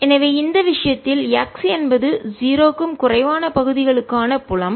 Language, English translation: Tamil, so in this case the field for regions x less than zero